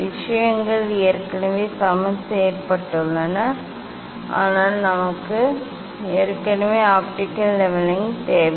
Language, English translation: Tamil, things are already leveled, but why we need the optical leveling